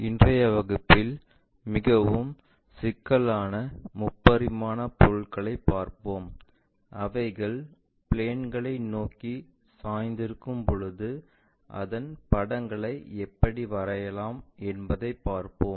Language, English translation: Tamil, In today's class, we will look at more complicated three dimensional objects when they are inclined towards the planes, how to draw those pictures